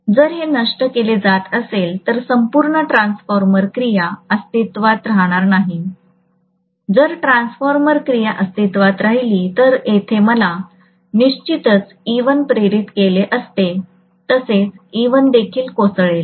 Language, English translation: Marathi, If that is being killed the entire transformer action will cease to exist, so what is going to happen is, if the transformer action ceases to exist I would have had definitely an e1 induced here as well that e1 will also collapse